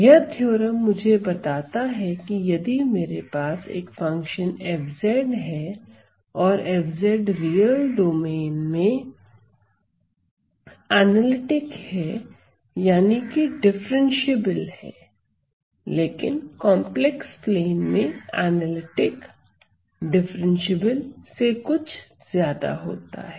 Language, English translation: Hindi, It tells me that if I have a function f z and f z is an analytic function in the real in on the real domain this could boiled down to being differentiable, but in the complex plane analytic is a little bit more than differentiability